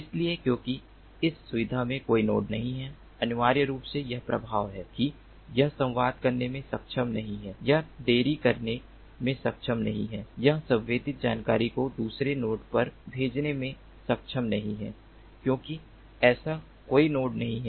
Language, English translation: Hindi, so because there is no node in this facility, essentially it is the effect is that it is not able to communicate, it is not able to delay, it is not able to send the sensed information to another node because there is no such node